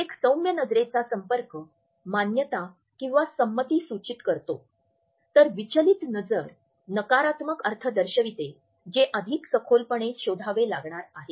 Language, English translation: Marathi, Whereas a soft eye contact suggest agreement a distracted eye contact passes on negative connotations which have to be delved deeper further